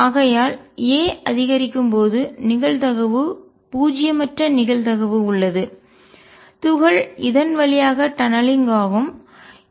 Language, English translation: Tamil, So, as a increases the probability goes down nonetheless there is a non 0 probability that the particle tunnels through